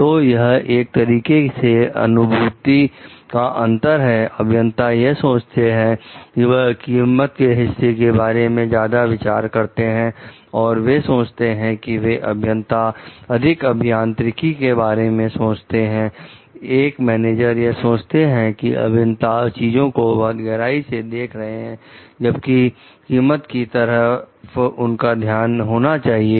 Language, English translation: Hindi, So, this like difference in perception will be there, like the engineers we think like they were more into thinking of the cost part and they were thinking like they are more into engineers, thinking like the managers were more into cost part of the engineers were perceived as going maybe too much into unnecessarily details